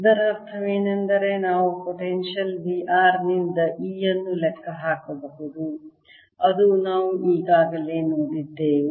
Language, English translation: Kannada, what that also means that we can calculate e from a potential v r, which we have already seen right